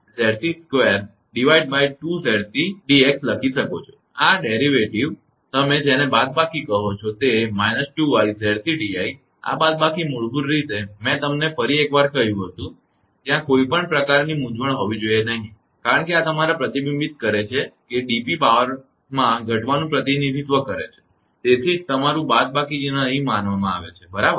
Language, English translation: Gujarati, Actually this derivation, minus your what you call a 2 i Z c d i this minus basically I told you again once again there should not be any contusion, this reflects the your that that dp represent reduction in power that is why your minus sign is considered here all right